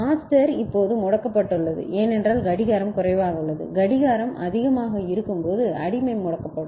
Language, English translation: Tamil, Because the master is now disabled, because clock is low and when clock becomes high slave becomes disabled